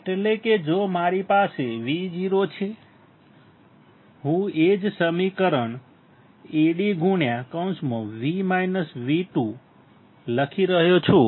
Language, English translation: Gujarati, That is, if I have V o; I am writing the same equation Ad into V1 minus V2